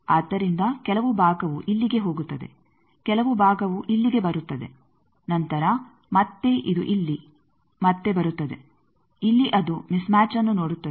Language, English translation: Kannada, So, some portion goes here, some portion comes here then again this here it comes again here it sees a match mismatch